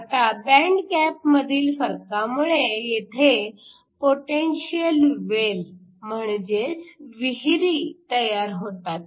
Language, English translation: Marathi, Now because of the difference in band gaps we create this potential wells